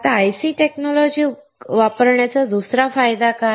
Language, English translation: Marathi, Now, what is the second advantage of using IC technology